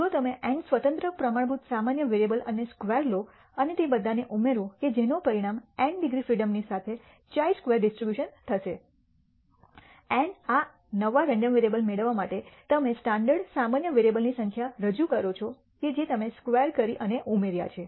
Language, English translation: Gujarati, If you take n independent standard normal variables and square and add all of them that will result in a chi square distribution with n degrees of freedom, n representing the number of standard normal variables which you have squared and added to get this new random variable